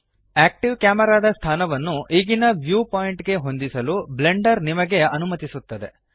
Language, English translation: Kannada, Blender allows you to position and orient the active camera to match your current view point